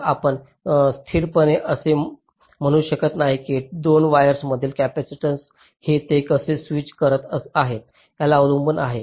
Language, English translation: Marathi, so you cannot statically say that the capacitance between two wires is this depending on how they are switching